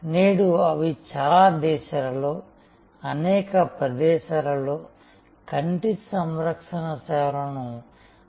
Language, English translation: Telugu, And today they are spread over many countries, over many locations covering almost the entire range of eye care services